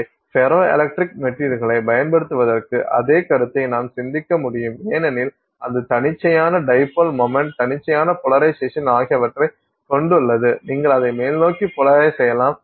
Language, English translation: Tamil, So, the same concept we can think of for using ferroelectric materials because it has that spontaneous dipole moment, spontaneous polarization that can exist in it, you can polarize it upwards or you can polarize it downwards